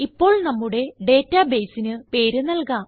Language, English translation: Malayalam, Now, lets name our database